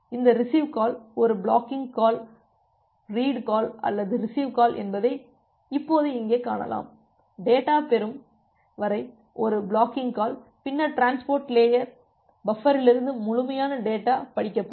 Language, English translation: Tamil, Now here you can see that this receive call, it is a blocking call, the read call or the receive call; it is a blocking call until the data is received, then the complete data is read from the transport buffer